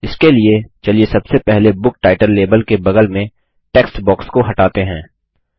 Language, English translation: Hindi, For this, let us first remove the text box adjacent to the Book Title label